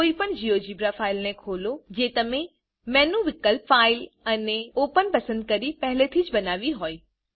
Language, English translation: Gujarati, Open any GeoGebra file that you have already created by selecting menu option File and Open